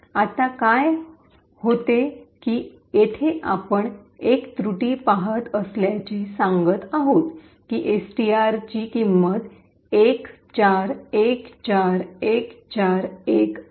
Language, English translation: Marathi, So, what happens now is that we see an error over here stating that STR equal to 41414141